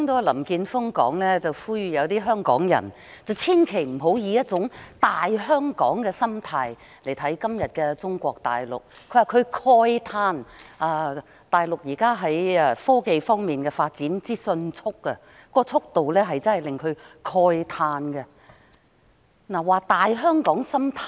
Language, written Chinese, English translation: Cantonese, 林健鋒議員剛才呼籲港人不要以"大香港"的心態看待今天的中國大陸，又指大陸在科技發展方面速度之快，令他慨嘆不已。, Just now Mr Jeffrey LAM urged that Hong Kong people should not look at Mainland China today with a Hong Kong superior mentality . He also told us how he was amazed by the rapid technological advancement on the Mainland